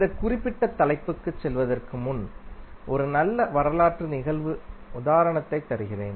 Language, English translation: Tamil, So, before going into this particular topic today, let me give you one good historical event example